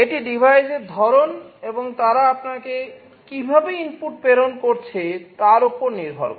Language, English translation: Bengali, It depends on the type of devices and the way they are sending you the inputs